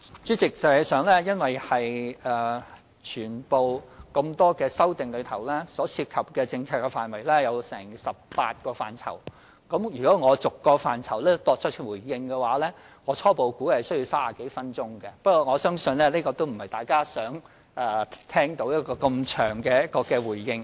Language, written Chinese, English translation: Cantonese, 主席，實際上，由於多項修訂案中涉及的政策範圍合共有18個，如果我逐一作出回應，初步估計需時30多分鐘，但我相信大家也不想聽到這麼長的回應。, President in fact as the various amendments involve a total of 18 policy areas and if I should make a response to them one by one initially it is expected to take more than 30 minutes but I think Members do not wish to listen to such a lengthy response